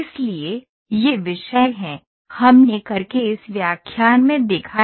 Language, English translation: Hindi, So, these are the topics, we saw in this lecture of CAD